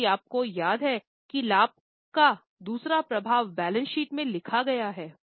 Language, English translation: Hindi, If you remember the second effect of profit retained is there in the balance sheet